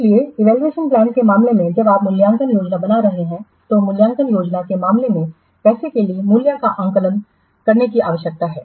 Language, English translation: Hindi, So, need to assess, so in case of the evaluation plan, while you are making the evaluation plan, while you are making the evaluation plan, there is a need to assess value for money